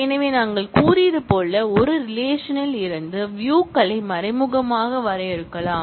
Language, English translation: Tamil, So, as we have said views can be defined indirectly from one relation